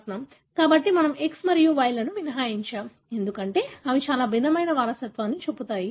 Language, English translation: Telugu, So, we are excluding X and Y, because they show very different kind of inheritance